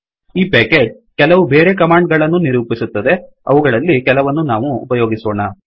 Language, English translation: Kannada, This package defines extra commands, some of which, we will use now